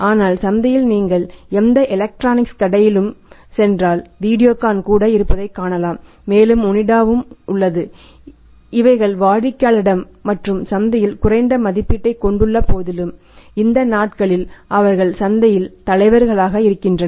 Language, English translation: Tamil, But in the market if you go in in any electronics store you find Videocon is also there and Onida is also there which enjoys lesser as a preference from the customers of the lesser rating in the market these days Of course they were the leaders in the market